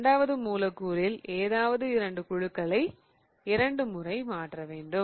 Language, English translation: Tamil, Now for this the second one let's swap any two groups twice